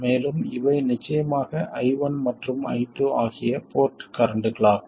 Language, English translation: Tamil, And these are of course the port currents I1 and I2